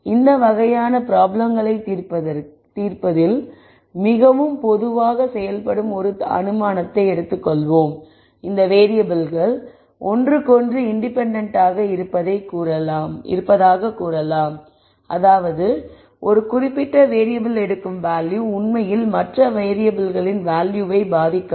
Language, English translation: Tamil, Let us take an assumption which is very commonly made in solving these types of problems, we might simply say these variables are let us say independent of each other; that means, what value a particular variable takes does not really affect the value of other variables